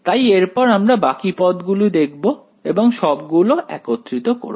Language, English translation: Bengali, So, next we will look at the remaining terms and put them all together